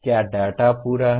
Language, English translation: Hindi, Is the data complete